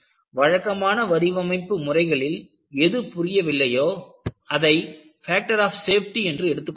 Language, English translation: Tamil, See, in conventional design, whatever they do not understand, they put it as a factor of safety